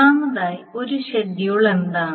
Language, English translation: Malayalam, So what is first of all a schedule